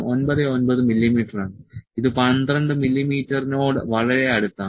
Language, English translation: Malayalam, 99 it is quite close to the 12 mm